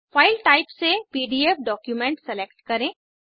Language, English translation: Hindi, From File Type , select PDF document